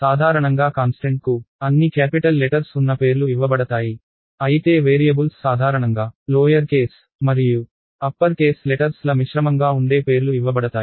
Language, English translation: Telugu, So, usually constants are given names which are all capital letters, whereas variables are given names which are usually a mix of lower case and upper case letters